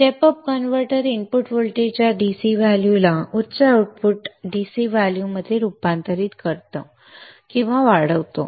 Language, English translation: Marathi, Step up converter converts the input voltage into a higher outure up converter converts the input voltage into a higher output DC value or boosting it